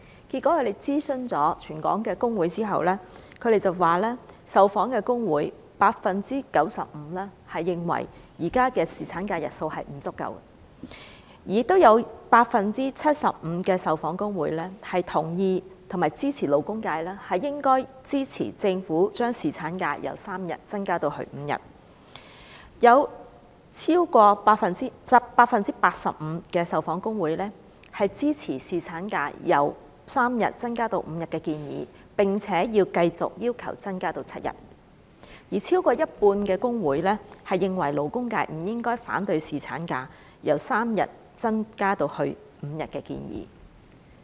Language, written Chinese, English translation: Cantonese, 在諮詢全港各工會之後，他們指受訪工會中，有 95% 認為現時侍產假的日數不足；有 75% 受訪工會同意和支持勞工界應該支持政府，將侍產假由3天增至5天；有 85% 受訪工會支持侍產假由3天增至5天的建議，並且認為要繼續要求增至7天；以及超過一半工會認為勞工界不應反對侍產假由3天增至5天的建議。, Having consulted all the trade unions in Hong Kong they stated that among the responding trade unions 95 % considered the duration of the existing paternity leave insufficient; 75 % agreed that the labour sector should support the Governments proposal to extend paternity leave from three days to five days; 85 % supported the proposal of extending paternity leave from three days to five days and deemed it necessary to keep fighting for an extension to seven days; and more than half of the trade unions thought that the labour sector should not oppose the proposal to extend paternity leave from three days to five days